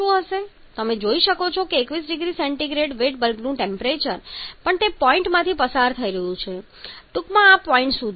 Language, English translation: Gujarati, You can see the 21 degree Celsius wet bulb temperature and also passing through the point